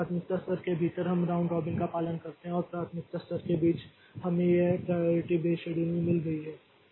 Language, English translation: Hindi, So, within a priority level so we follow round robin and between the priority levels so we have got this priority based scheduling